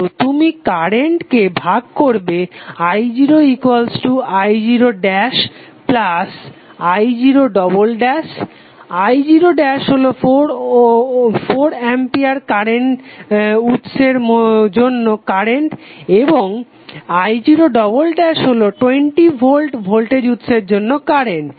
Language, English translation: Bengali, So you divide current i0 as i0 dash and i0 double dash, i0 dash is contribution due to 4 ampere current source and i0 double dash is the contribution due to 20 volt voltage source